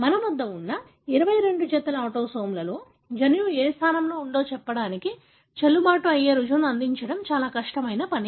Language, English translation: Telugu, So, it is going to be a daunting task to come up with kind of a valid proof to say in which one of the 22 pairs of the autosome that we have, the gene could be located